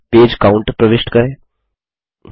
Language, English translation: Hindi, Insert Page Count in the footer